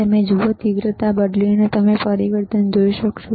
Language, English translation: Gujarati, You see, by changing the intensity, you will be able to see the change